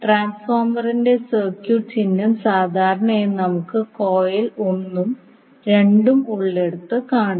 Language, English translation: Malayalam, The circuit symbol of the transformer we generally show like this where we have the coil one and two